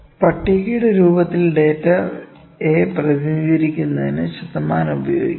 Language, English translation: Malayalam, Now, percentages can also be used to represent data to represent the data in the form of a table